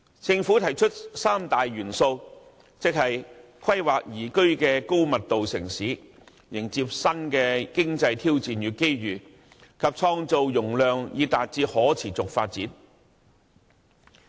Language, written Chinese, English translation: Cantonese, 政府提出三大元素，即規劃宜居的高密度城市、迎接新的經濟挑戰與機遇，以及創造容量以達致可持續發展。, To this end the Government has proposed three building blocks namely planning for a liveable high - density city embracing new economic challenges and opportunities and creating capacity for sustainable growth